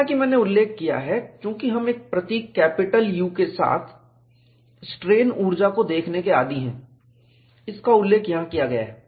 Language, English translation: Hindi, As I mentioned, since we are accustomed to looking at strain energy with a symbol capital U, it is mentioned here